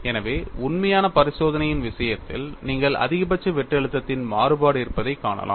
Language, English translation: Tamil, So, in the case of actual experimentation, you find there is a variation of maximum shear stress, so this needs to be explained